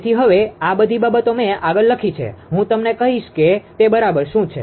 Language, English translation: Gujarati, So, now, all this things I have written further I will tell you what exactly it is